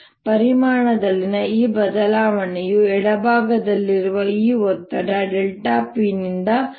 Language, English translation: Kannada, this change in volume is caused by the special delta p on the left side, delta p plus delta two p on the right hand side